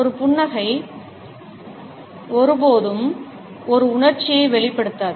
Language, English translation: Tamil, A smile is never expressive of a single emotion